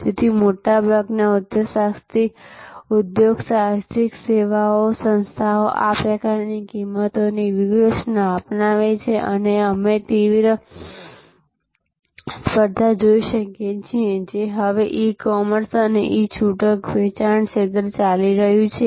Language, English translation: Gujarati, So, most entrepreneur service organizations, adopt this type of pricing strategy and as you can see the intense competition; that is going on now in the field of e commerce and e retailing